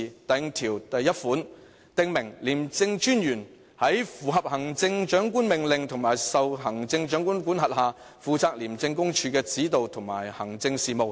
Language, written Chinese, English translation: Cantonese, 第51條訂明："廉政專員在符合行政長官命令及受行政長官管轄下，負責廉政公署的指導及行政事務。, Section 51 stipulates that [t]he Commissioner subject to the orders and control of the Chief Executive shall be responsible for the direction and administration of the Commission